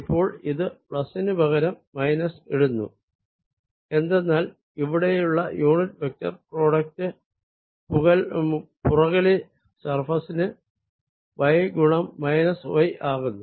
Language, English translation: Malayalam, now this plus going to replace by minus, because the unit vector product out here is going to be y times minus y for the back surface